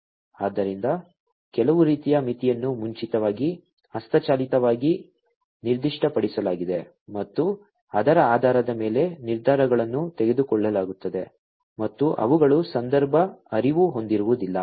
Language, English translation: Kannada, So, some kind of a threshold is specified beforehand manually and based on that the decisions are made, and those are not context aware